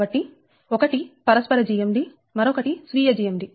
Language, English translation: Telugu, so one is mutual gmd, another is self gmd, right